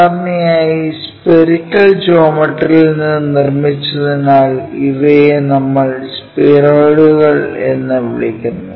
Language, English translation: Malayalam, And, usually we call these are spheroids from spherical geometry we construct them